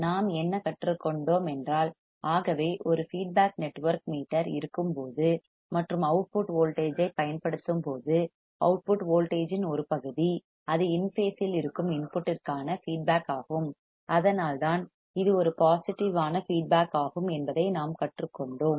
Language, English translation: Tamil, So, what we have learned we have learned that when there is a feedback network meter and when we apply a output voltage, a part of output voltage is feedback to the input it is in phase and that is why it is a positive feedback